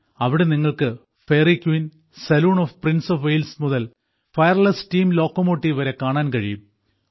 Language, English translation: Malayalam, You can also find here,from the Fairy Queen, the Saloon of Prince of Wales to the Fireless Steam Locomotive